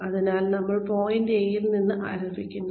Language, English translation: Malayalam, So, we start from point A